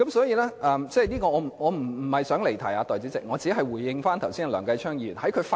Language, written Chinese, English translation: Cantonese, 代理主席，我並非想離題，我只是回應梁繼昌議員剛才的發言。, Deputy President I do not want to digress from the subject and I am just responding to the remarks just made by Mr Kenneth LEUNG